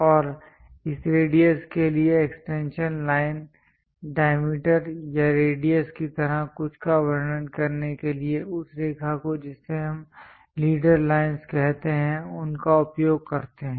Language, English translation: Hindi, And the extension line for this radius to represent something like diameter or radius that line what we call leader lines